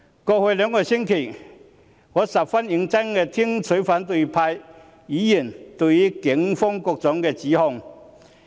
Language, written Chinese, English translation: Cantonese, 過去兩個星期，我十分認真聆聽反對派議員對於警方的各種指控。, Over the past two weeks I have listened seriously to opposition Members accusations against the Police